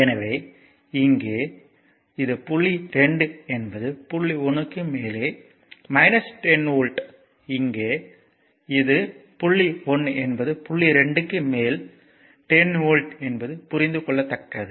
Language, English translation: Tamil, So, here it is point 2 is minus 10 volt above point 1; here it is point 1 is 10 volt above point 2 understandable right